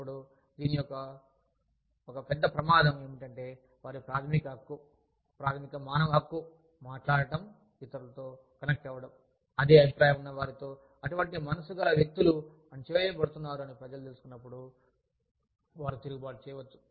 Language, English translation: Telugu, Now, one big risk of this is, when people know, that their basic right, basic human right, of talking to, of connecting with others, who are of the same opinion as they are, other like minded individuals, is being suppressed, then, they might revolt